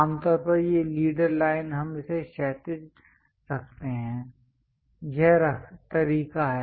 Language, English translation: Hindi, Usually, these leader lines we keep it horizontal, this is the way